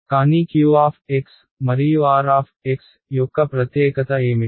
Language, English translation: Telugu, But what is a special property of q x and r x